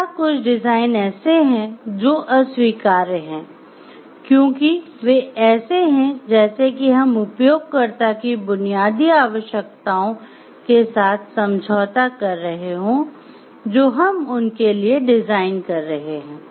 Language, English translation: Hindi, Third there are some designs some which are clearly unacceptable because, it like we cannot compromise with some basic requirements for the user that we are doing the design